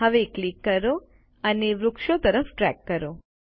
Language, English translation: Gujarati, Now click and drag towards the trees